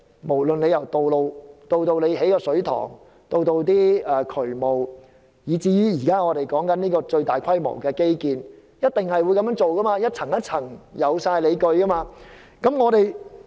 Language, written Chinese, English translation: Cantonese, 無論是興建道路、水塘、進行渠務工程，以至現時討論的最大規模基建，都一定是這樣做，按部就班，有理有據。, This applies to the construction of roads reservoirs the implementation of sewage works or the largest - scale infrastructure projects now under discussion . We should work strictly by protocol and with justifications